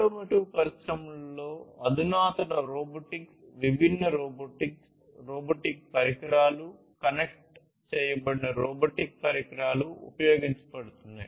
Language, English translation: Telugu, Advanced robotics, different robotics, robotic equipments, connected robotic equipments are being used in the automotive industries